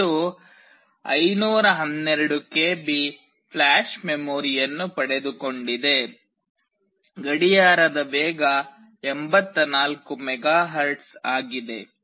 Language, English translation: Kannada, It has got 512 KB of flash memory, clock speed of 84 MHz